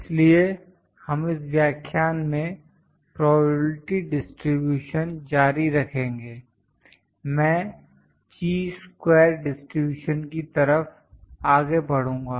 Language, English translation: Hindi, So, this lecture, we will continue the probability distributions, next I will move forward to Chi square distribution